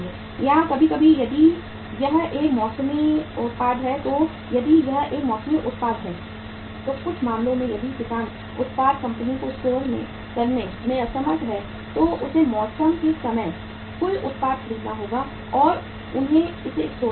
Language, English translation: Hindi, Or sometimes if it is a seasonal product so if it is a seasonal product so in some cases if the farmer is unable to store the product company has to buy the total product at the time of the season and they have to store it